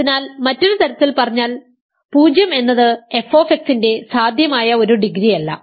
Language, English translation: Malayalam, So, in other words 0 is not a possible degree for f of x ok